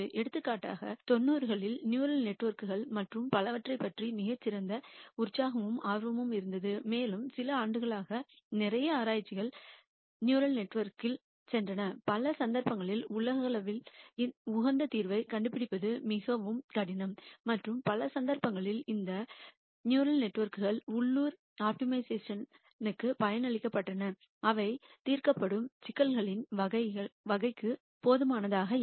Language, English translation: Tamil, For example, in the 90s there was a lot of excitement and interest about neural networks and so on, and for a few years lot of research went into neural networks and in many cases it turned out that nding the globally optimum solution was very difficult and in many cases these neural networks trained to local optima which is not good enough for the type of problems that were that being solved